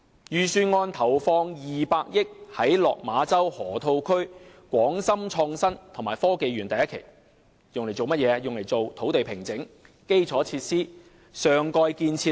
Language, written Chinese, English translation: Cantonese, 預算案投放200億元在落馬洲河套區的港深創新及科技園第一期，用作土地平整、基礎設施和上蓋建設等。, In the Budget 20 billion is allocated to the first phase of the Hong Kong - Shenzhen Innovation and Technology Park the Park in the Lok Ma Chau Loop for site formation infrastructure and superstructure